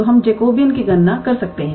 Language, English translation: Hindi, So, we can calculate the Jacobean